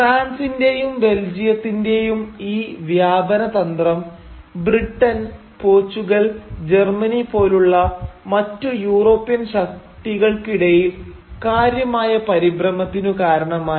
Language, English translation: Malayalam, And this expansionist agenda of France and Belgium started causing a great deal of alarm amongst other major European powers like Britain for instance, like Portugal, like Germany